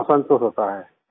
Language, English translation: Hindi, Yes, there is satisfaction